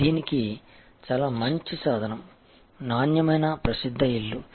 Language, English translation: Telugu, A very good tool for this is the famous house of quality